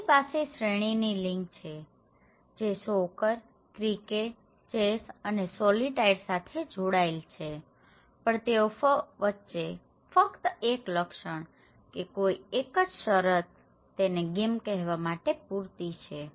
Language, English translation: Gujarati, So, there is a series of links that which connect soccer, cricket, chess and solitaire but there is no single feature or that is enough or sufficient condition to call it as a game, right